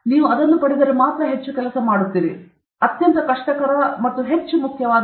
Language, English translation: Kannada, If you get that then you will work more, you will work more